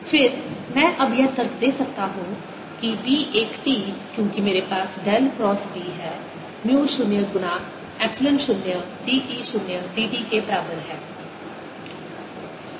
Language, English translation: Hindi, again, i can now argue that b one t, because i have dell cross b is equal to mu zero, epsilon zero d, e zero d t